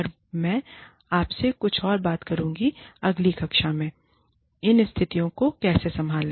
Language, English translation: Hindi, And, I will talk to you a little bit more about, how to handle these situations, in the next class